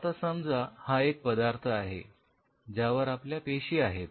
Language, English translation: Marathi, Now if you’re this is stuff on which the cells are